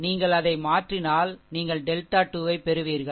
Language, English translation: Tamil, All you replace that, then you will get the delta 2